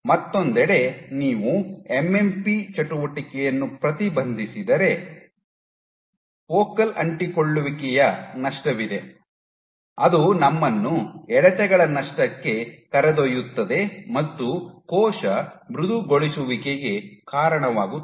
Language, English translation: Kannada, On the other hand, if you inhibit a MMP activity there is loss of focal adhesions, that leads us to loss of tractions, and also leads to cell softening